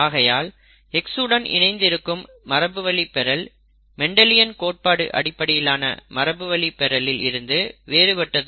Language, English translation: Tamil, Thus X linked inheritance is different from inheritance by Mendelian principles